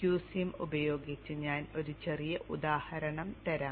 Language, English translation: Malayalam, I will just show one small example with QSim